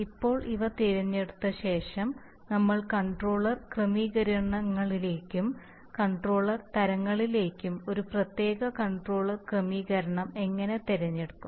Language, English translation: Malayalam, Now we come to the, if having selected these, this controller settings, these controller types, how do we select a particular controller setting